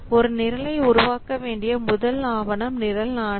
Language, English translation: Tamil, The first document that we require to create a program is program mandate